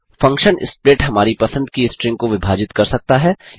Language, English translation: Hindi, The function split can also split on a string of our choice